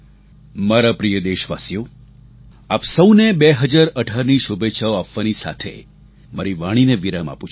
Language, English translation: Gujarati, My dear countrymen, with my best wishes to all of you for 2018, my speech draws to a close